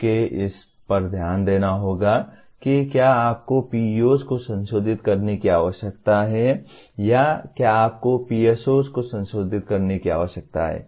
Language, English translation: Hindi, You have to take a look at it whether you need to modify PEOs or whether you need to modify PSOs